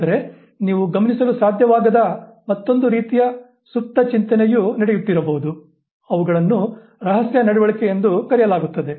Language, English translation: Kannada, But there could be another type of latent thinking going on which you are not able to observe